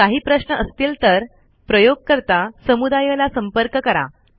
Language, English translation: Marathi, If you have questions, please feel free to contact user communities